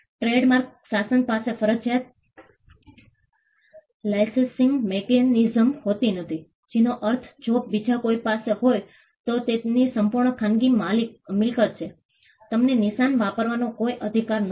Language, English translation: Gujarati, The trademark regime does not have a compulsory licensing mechanism meaning which if somebody else has a mark it is his absolute private property; you get no right to use the mark